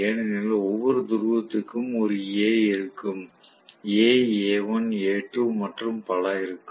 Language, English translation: Tamil, Because for each of the pole there will be one A sitting, A, A, A1, A2 and so on